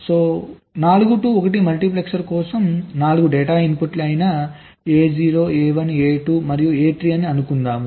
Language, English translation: Telugu, so for a four to one multiplexer, let say that the four data inputs are a zero, a one, a two and a three